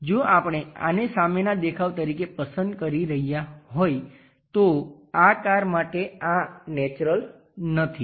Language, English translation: Gujarati, So, if we are picking this one as the front view this is not very natural for this car